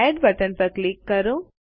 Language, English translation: Gujarati, Click on the Add button